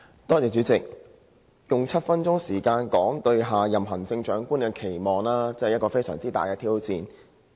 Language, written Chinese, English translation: Cantonese, 代理主席，要用7分鐘來表達我對下任行政長官的期望，真的是非常大的挑戰。, Deputy President it is really challenging to express my expectations for the next Chief Executive in seven minutes but I will try though